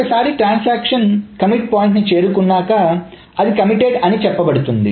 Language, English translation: Telugu, And then a transaction is said to reach its commit point